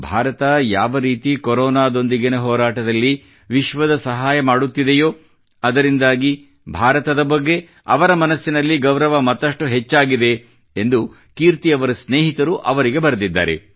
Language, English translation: Kannada, Kirti ji's friends have written to her that the way India has helped the world in the fight against Corona has enhanced the respect for India in their hearts